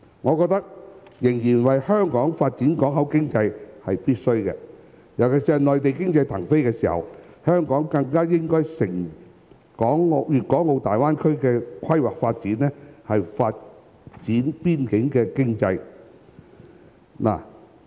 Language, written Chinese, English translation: Cantonese, 我認為香港繼續發展口岸經濟是必須的，尤其是正值內地經濟騰飛時，香港更應藉粵港澳大灣區規劃發展的機會，發展邊境經濟。, I think it is necessary for Hong Kong to continue to develop port economy . Particularly when the economy of the Mainland is expanding rapidly Hong Kong should seize the opportunity of the Guangdong - Hong Kong - Macao Greater Bay Area development to develop the economy of the border